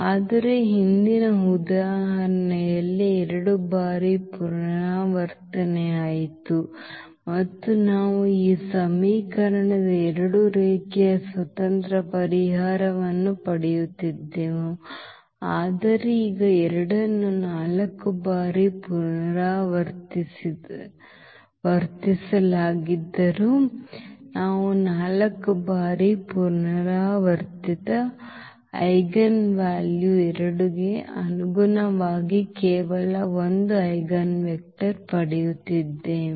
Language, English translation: Kannada, Whereas, in the previous example the eigenvalue was repeated two times and we were also getting two linearly independent solution of this equation, but now though the 2 was repeated 4 times, but we are getting only 1 eigenvector corresponding to this 4 times repeated eigenvalue 2